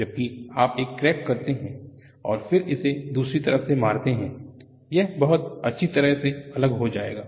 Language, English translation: Hindi, Whereas, you put a crack and then hit it from other side; it will separate very well